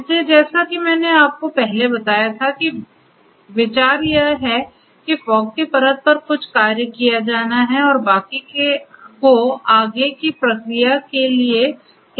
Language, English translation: Hindi, So, as I told you earlier that the idea is to have certain executions done at the fog layer at the fog node and the rest being sent to the cloud for further processing